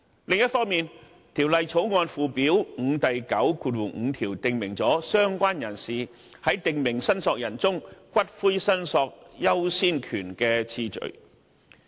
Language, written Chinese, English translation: Cantonese, 另一方面，《條例草案》附表5第95條已訂明"相關人士"在訂明申索人中，骨灰申索優先權的次序。, Furthermore section 95 of Schedule 5 to the Bill has already provided the priority of claim of a related person for the return of ashes among claims of prescribed claimants